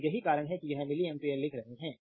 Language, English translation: Hindi, So, that is why you are writing it is milli ampere